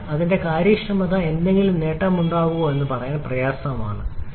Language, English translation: Malayalam, So, it is difficult to say whether that or there will be any gain at all in the efficiency